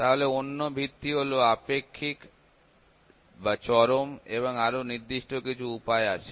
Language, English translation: Bengali, So, another base is relative or absolute, there are certain ways